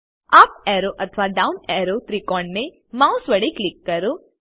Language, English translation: Gujarati, Click on up or down arrow triangles with the mouse